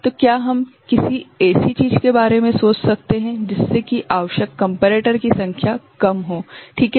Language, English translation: Hindi, So, can we think of something by which number of comparators requirement you know comes down ok